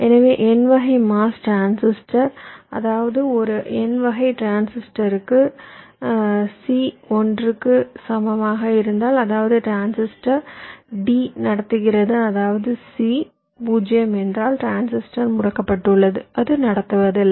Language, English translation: Tamil, so ah, for n type mos transistor, for example sorry for a n type transistor if c equal to one, which means the transistor t is on, which means it conducts